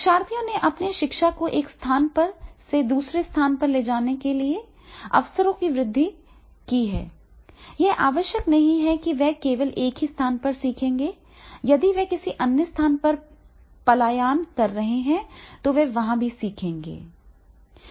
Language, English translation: Hindi, Learners have increasing, opportunities to take their learning from place to place, it is not necessary that is, they will be able to learn only from one place, if they are migrating to another place there also they will able to learn